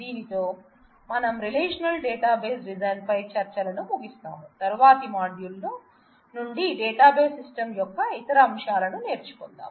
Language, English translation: Telugu, And with this we close our discussions on the relational database design, and from the next module we will move on to other aspects of the database systems